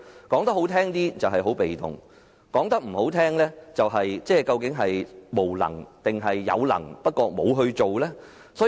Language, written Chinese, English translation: Cantonese, 說得好聽一點，政府很被動，說得難聽一點，政府或是無能，或是有能而不做。, To put it mildly the Government is in a very passive position . To put it bluntly the Government is incompetent or is unwilling to do what it is capable of doing